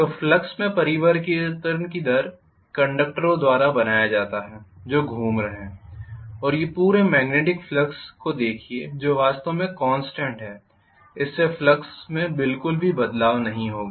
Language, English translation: Hindi, So the rate of change of the flux is created by the conductors which are moving and these look at the entire magnetic flux which is actually constant, this is not going to have any variation in the flux at all